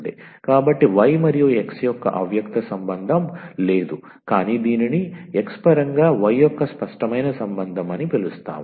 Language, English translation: Telugu, So, there is no implicit relation of y and x is given, but rather we call this as a explicit relation of y in terms of x